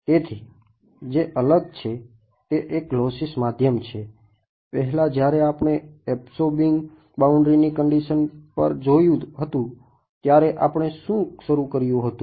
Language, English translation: Gujarati, So, what is different is it is a lossy medium; previously when we had looked at absorbing boundary condition what did we start with